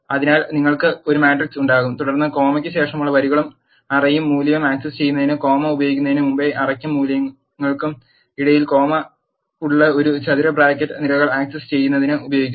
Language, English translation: Malayalam, So, you will have a matrix and followed by a square bracket with a comma in between array and values before the comma is used to access rows and array or value that is after comma is used to access columns